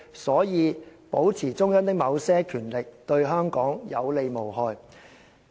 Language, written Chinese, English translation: Cantonese, 所以，保持中央的某些權力，對香港有利無害。, Therefore it will do Hong Kong more good than harm for the Central Authorities to retain certain powers